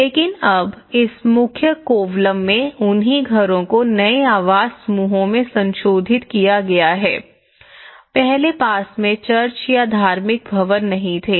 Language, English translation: Hindi, But now, the same houses have been modified in this main Kovalam, in the new housing clusters earlier, they were not having a church or some religious building in the close proximity